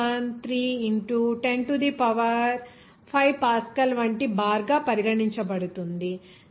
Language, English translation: Telugu, 013 into 10 to the power 5 Pascal it will be called as 1